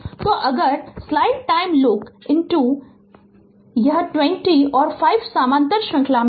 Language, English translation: Hindi, So, if you look into this this 20 and 5 are in parallel series